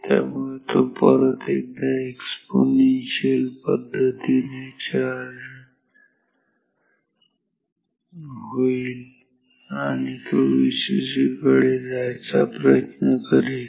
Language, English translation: Marathi, So, it will charge again exponentially and it will try to go towards V cc